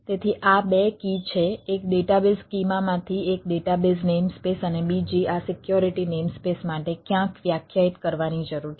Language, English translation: Gujarati, so this, two keys are: one from database schema, a database name space, and another for this security name space need to be defined somewhere so its a may use